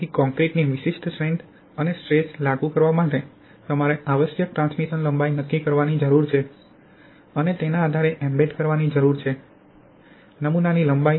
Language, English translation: Gujarati, So for a particular strength of concrete and the stress applied, you need to determine the transmission lengths required and depending on that you need to choose the embedment length of the specimen